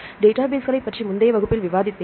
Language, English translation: Tamil, I have discussed in the previous class about databases right